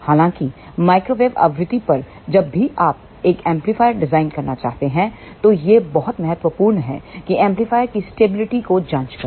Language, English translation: Hindi, However, at microwave frequency, whenever you want to design an amplifier it is very very important that you check the stability of the amplifier